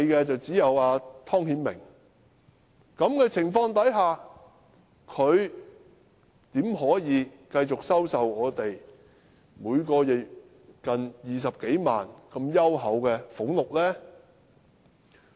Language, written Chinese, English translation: Cantonese, 在這情況下，他怎麼可以繼續向我們收取每月近20多萬元這如此優厚的俸祿呢？, Under these circumstances how can he continue to draw from us such handsome emoluments and benefits of close to some 200,000 monthly?